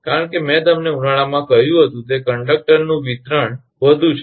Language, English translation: Gujarati, Because, I told you in summer that expansion that of conductor will be more